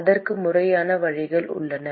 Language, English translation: Tamil, There are formal ways to do that